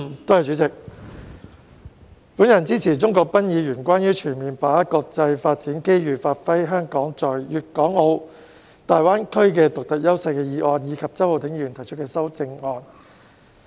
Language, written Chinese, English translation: Cantonese, 代理主席，我支持鍾國斌議員提出的"全面把握國家發展機遇，發揮香港在粵港澳大灣區的獨特優勢"議案，以及周浩鼎議員提出的修正案。, Deputy President I support Mr CHUNG Kwok - pans motion on Fully seizing the national development opportunities to give play to Hong Kongs unique advantages in the Guangdong - Hong Kong - Macao Greater Bay Area and Mr Holden CHOWs amendment